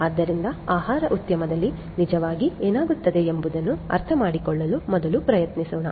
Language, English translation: Kannada, So, in the food industry let us first try to understand what actually happens